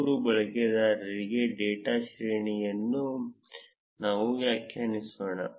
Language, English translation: Kannada, Let us define the data array for three users